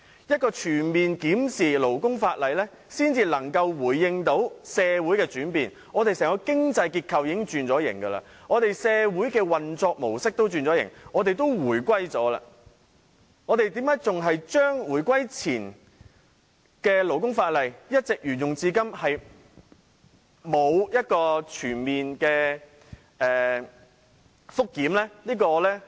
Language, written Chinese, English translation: Cantonese, 只有全面檢討勞工法例，才能順應社會的轉變，香港經濟結構已經轉型，社會運作模式亦已轉型，我們已回歸多年，為何回歸前的勞工法例仍沿用至今，沒有全面檢討？, Only by reviewing all labour laws comprehensively can we respond to changes in society . Our economy has been restructured and the operation of society has also changed . Since many years have passed after the reunification how come the labour laws enacted before the reunification are still in use today and have not been reviewed?